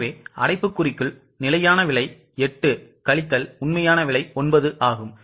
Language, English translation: Tamil, So, in bracket we will take standard price 8 minus actual price 9